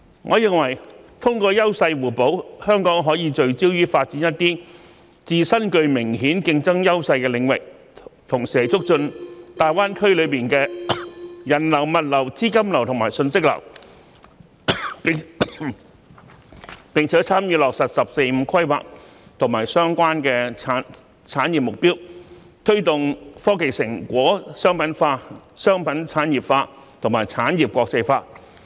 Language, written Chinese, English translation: Cantonese, 我認為，通過優勢互補，香港可以聚焦於發展一些自身具明顯競爭優勢的領域，同時促進大灣區內的人流、物流、資金流及信息流，並參與落實"十四五"規劃相關產業目標，推動科技成果商品化、商品產業化和產業國際化。, In my opinion through complementarity of edges Hong Kong can focus on developing areas with obvious competitive advantages while enhancing the flow of people logistics capital and information in the Greater Bay Area participating in achieving the industrial goals in the 14th Five - Year Plan as well as promoting the commercialization of technological achievements industrialization of commodities and internationalization of industries